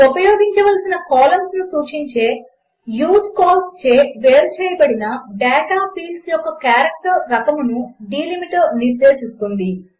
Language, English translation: Telugu, Delimiter specifies the kind of character, that the fields of data separated by usecols specifies the columns to be used